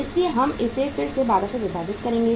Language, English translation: Hindi, So we will be dividing it again by 12